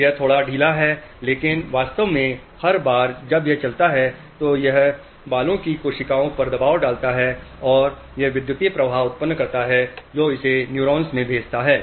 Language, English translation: Hindi, But actually every time it moves, it puts pressure on this hair cells and this generates electric current sends it to the neuron